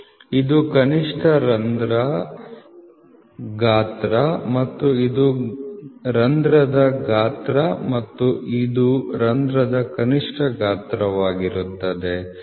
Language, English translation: Kannada, This is the minimum hole size and this is minimum, so this is a hole size and this will be the minimum of the hole and this is a minimum of the